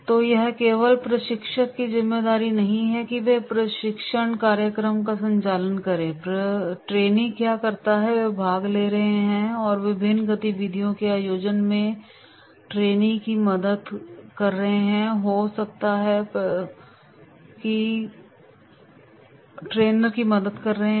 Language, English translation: Hindi, So it is not responsibility of the trainer only to conduct the training program, what the trainee does, they are participating and helping the trainers in organising the different activities